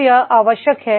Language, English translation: Hindi, ) So what is required